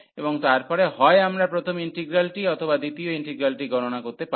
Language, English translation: Bengali, And then either we can take the first integral or the second one to compute